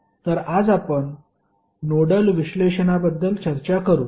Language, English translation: Marathi, So, today we will discuss about the Nodal Analysis